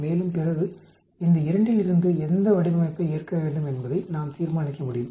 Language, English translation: Tamil, And then from these two we can decide which design to accept